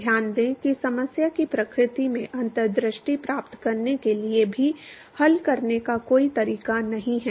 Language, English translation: Hindi, Note that there is no ways to solve even to get insights into the nature of the problem